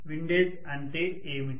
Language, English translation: Telugu, What is windage